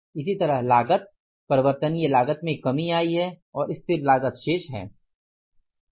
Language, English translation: Hindi, Similarly the cost variable cost has come down and the fixed cost remaining the same